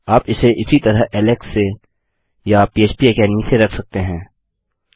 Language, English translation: Hindi, You can put this as from Alex or from phpacademy